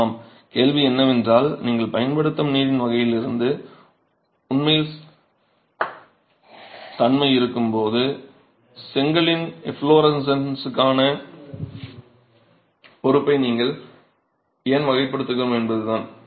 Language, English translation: Tamil, The question is about why are we classifying the liability to efflorescence of the brick when it actually has an influence from the type of water that you use